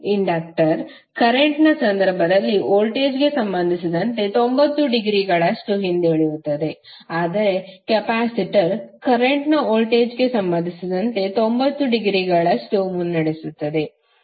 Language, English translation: Kannada, In case of inductor current will be lagging with respect to voltage by 90 degree, while in case of capacitor current would be leading by 90 degree with respect to voltage